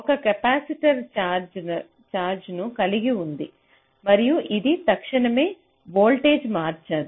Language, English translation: Telugu, now a capacitor holds the charge and it does not instantaneously change the voltage across it, right